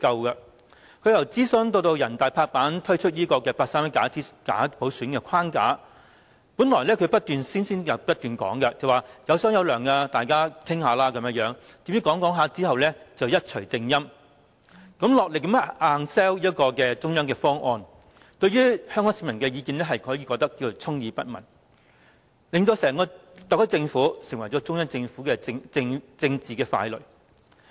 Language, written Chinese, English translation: Cantonese, 由政府進行諮詢，至全國人民代表大會拍板推出八三一假普選框架，最初她不斷聲稱"有商有量"，大家可以討論，誰料最後一錘定音，落力硬推中央的方案，對於香港市民的意見可說是充耳不聞，令整個特區政府成為中央政府的政治傀儡。, From the consultation conducted by the Government to the finalization of the framework of bogus universal suffrage by the National Peoples Congress on 31 August 2014 she had initially stated repeatedly her attitude of Lets talk and invited public discussions but once the tune was set with the beating of the gong she engaged in vigorous promotion of the proposals mooted by the Central Authorities and turned a deaf ear to the opinions of the Hong Kong public thus rendering the SAR Government the political puppet of the Central Government